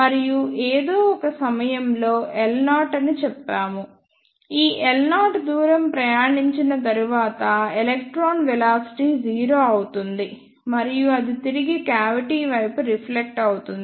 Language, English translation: Telugu, And at some point let us say L naught after travelling this, L naught distance the electron velocity will be 0, and it will be reflected back towards the cavity